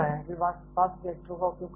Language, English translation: Hindi, they are used a fast reactors